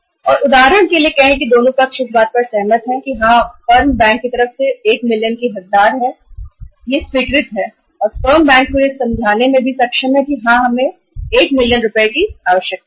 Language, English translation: Hindi, And say for example both the sides agree that yes the firm deserves 1 million from the bank side it is approved and the firm is also able to convince the bank that yes we need 1 million rupees of the working capital limit